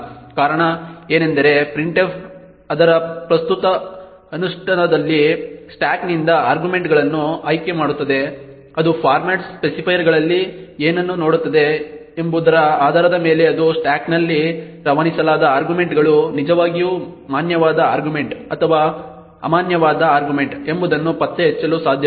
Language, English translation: Kannada, The reason being is that printf in its current implementation just picks out arguments from the stack depending on what it sees in the format specifiers it cannot detect whether the arguments passed on the stack is indeed a valid argument or an invalid argument